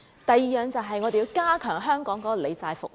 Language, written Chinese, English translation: Cantonese, 第二，便是要加強香港的理債服務。, Second we should enhance the debt management services in Hong Kong